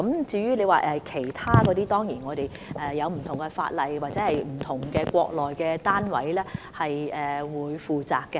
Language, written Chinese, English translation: Cantonese, 至於其他產品，當然我們要按不同法例處理，或由國內不同單位負責。, As for other products we certainly have to handle them in accordance with various legislations or refer them to various responsible Mainland authorities